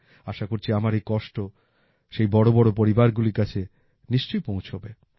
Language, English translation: Bengali, I hope this pain of mine will definitely reach those big families